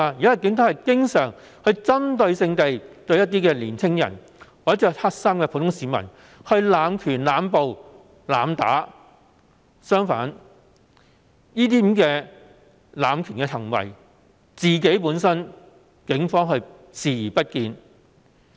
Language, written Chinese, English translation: Cantonese, 現時警隊經常針對性向青年或身穿黑衣的普通市民施行濫權、濫捕和濫打，卻對這些濫權行為本身視而不見。, At present the Police often abuse powers make indiscriminate arrests and assault young people yet they turn a blind eye to acts of power abuse